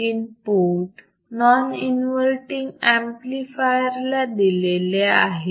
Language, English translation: Marathi, Input is coming to the non inverting amplifier